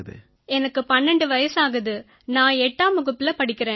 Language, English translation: Tamil, I am 12 years old and I study in class 8th